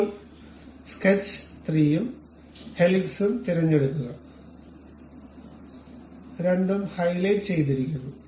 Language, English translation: Malayalam, Now, pick sketch 3 and also helix, both are highlighted